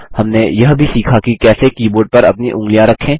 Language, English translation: Hindi, We also learnt how to: Place our fingers on the key board